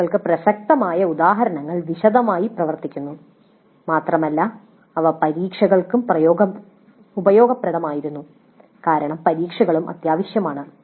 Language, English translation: Malayalam, Then examples relevant to the COs worked out well in detail and also they were useful for examinations because examinations are also essential